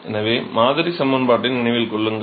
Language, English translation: Tamil, So, remember the model equation